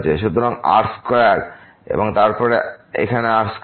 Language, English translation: Bengali, So, square and then here square